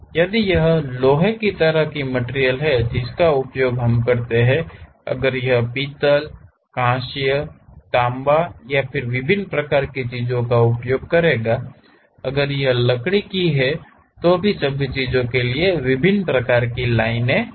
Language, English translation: Hindi, If it is iron kind of material one kind of lines we use; if it is brass, bronze, copper different kind of things we will use; if it is wood different kind of lines